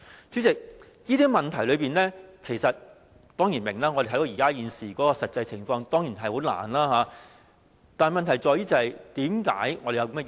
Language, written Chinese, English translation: Cantonese, 主席，這些問題，我們當然明白，因為我們看到現時的實際情況，明白當中的困難。, President we certainly understand these problems because we can see the actual situation currently . We appreciate the difficulties involved